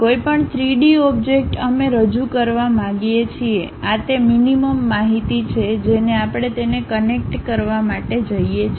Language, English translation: Gujarati, Any three dimensional object, we would like to represent; these are the minimum information we require it to connect it